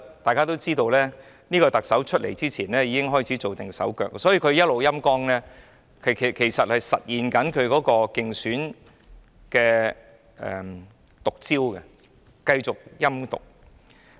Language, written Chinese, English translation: Cantonese, 大家都知道，這位特首在上任前已經開始做手腳，所以她一直在"陰乾"港台，其實正是實現她的競選"毒招"，繼續陰毒。, It is known that this Chief Executive already started to play tricks before she assumed office . So she has been taking actions to sap RTHK precisely to achieve the objective of her vicious tricks adopted during her election campaign by continuously employing wicked means to serve her purpose